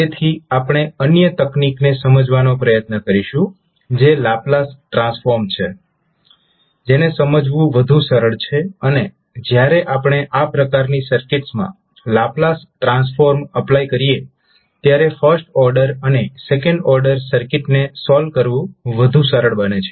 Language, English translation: Gujarati, So, we will try to understand another technique that is the Laplace transform which is easier to understand and we when we apply Laplace transform in these type of circuits it is more easier to solve the first order and second order circuit